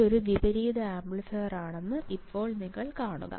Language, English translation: Malayalam, Now you just see that this is an inverting amplifier